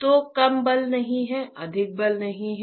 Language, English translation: Hindi, So, less force is not ok, more force is not ok